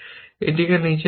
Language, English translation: Bengali, Then, put down a